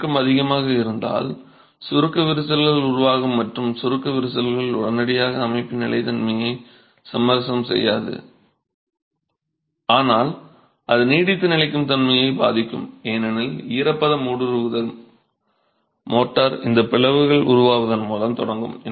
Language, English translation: Tamil, So this is a fundamental problem if there is too much of shrinkage, shrinkage cracks will develop and shrinkage cracks would not probably immediately compromise the stability of the system but it will affect durability because moisture penetration will commence with formation of these cracks in the motor itself